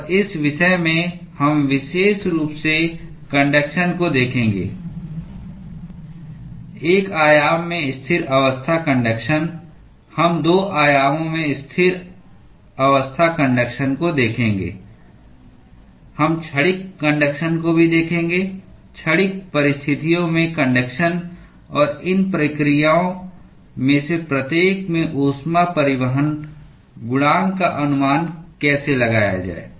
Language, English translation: Hindi, And, in this topic we will specifically look at conduction steady state conduction in one dimension, we will look at steady state conduction in 2 dimensions, we will also look at transient conduction conduction under transient conditions; and how to estimate heat transport coefficient in each of these processes